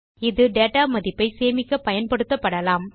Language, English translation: Tamil, It may be used to store a data value